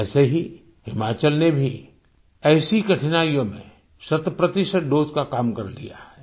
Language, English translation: Hindi, Similarly, Himachal too has completed the task of centpercent doses amid such difficulties